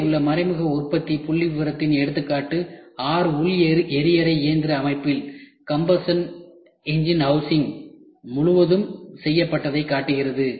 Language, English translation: Tamil, As an example of indirect manufacturing figure below shows the six cylinder combustion engine housing completely made